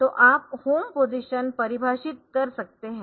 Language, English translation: Hindi, So, you can have a home position define